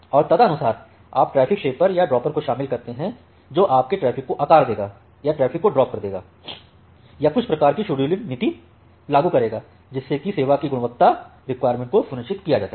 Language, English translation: Hindi, And accordingly you include the traffic shaper or dropper which will shape your traffic or drop your traffic or apply certain kind of scheduling policy to ensure the quality of service requirements